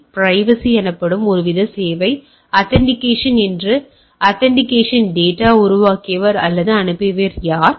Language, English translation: Tamil, So, some sort of a service call privacy, authentication who created or send the data to find that authenticate